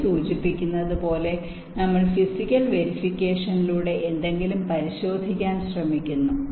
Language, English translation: Malayalam, as the name implies, we are trying to verify something through physical inspection